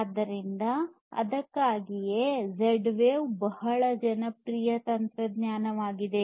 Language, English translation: Kannada, So, that is why Z wave is a very popular technology